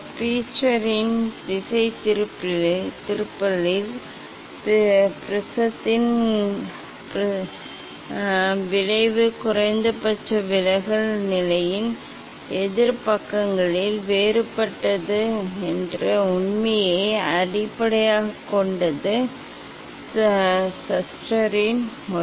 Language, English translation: Tamil, Schuster s method is based on the fact that the effect of the prism on the divergence of the beam is different on opposite sides of the minimum deviation position